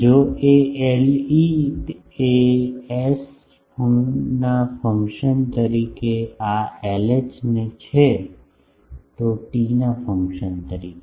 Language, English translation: Gujarati, However, L e as a function of s this is L h as a function of t